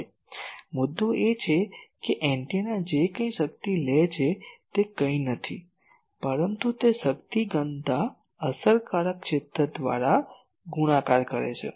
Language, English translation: Gujarati, Now, point is whatever total power the antenna is taking that is nothing, but that power density multiplied by the effective area